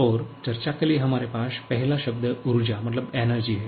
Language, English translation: Hindi, And the first term that we have here for discussion is the energy